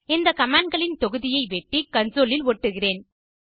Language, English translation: Tamil, I will cut this set of commands and paste in the console